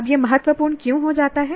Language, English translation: Hindi, Now why does this become important